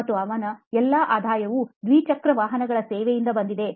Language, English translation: Kannada, And all his revenue actually came from the servicing of two wheelers